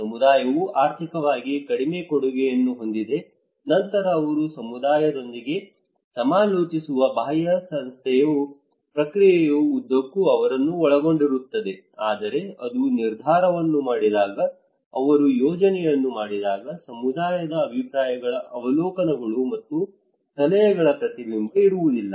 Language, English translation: Kannada, Community has less contribution financially then what is the case that the external agency they consult with the community they involve them throughout the process, but when they make the decision, when they make the plan there is no reflections of community’s opinions observations and suggestions